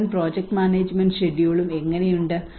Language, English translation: Malayalam, how is the whole project management schedule